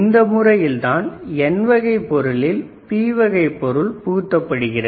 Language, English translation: Tamil, So, what I asked is we need P type material in N type substrate